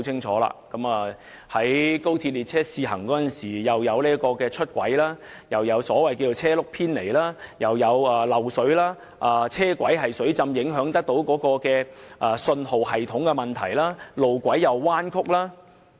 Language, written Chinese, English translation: Cantonese, 在高鐵列車試行時，不單發生出軌事件，亦出現車輪偏離的情況，更有漏水、車軌水浸影響信號系統及路軌彎曲等問題。, During the trial runs of XRL there were problems of derailment shifting of wheels water seepage the signaling system being affected by the flooded tracks as well as curved tracks